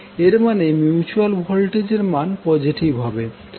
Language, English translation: Bengali, That means the mutual voltage will be positive